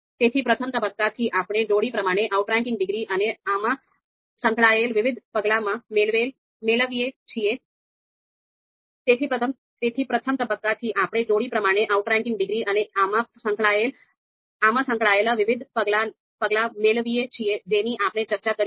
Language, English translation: Gujarati, So from the first phase first phase, we get pairwise outranking degrees and the different steps which are involved in this, we have just discussed